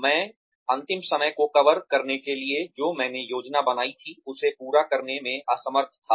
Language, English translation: Hindi, I was unable to finish, what I planned, to cover last time